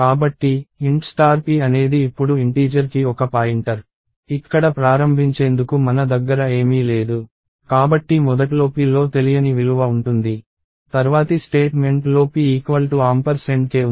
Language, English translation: Telugu, So, int star p is a pointer to integer as of now, I do not have anything to initialize here, so initially it is a unknown value for p, next statement says p equals ampersand of k